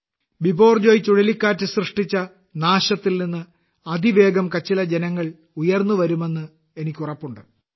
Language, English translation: Malayalam, I am sure the people of Kutch will rapidly emerge from the devastation caused by Cyclone Biperjoy